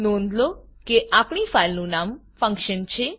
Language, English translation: Gujarati, Note that our filename is function